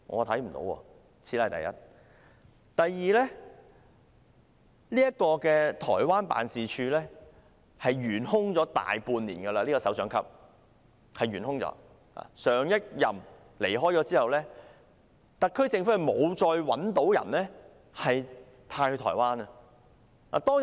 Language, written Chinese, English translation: Cantonese, 其次是，這個台灣辦事處的首長級職位已懸空大半年，自上一任首長離任後，特區政府沒有再另覓人選派駐台灣。, The second point is that the directorate grade position in this Taiwan office has been left vacant for more than half a year . The SAR Government has not appointed another person to fill the vacancy since the departure of the previous head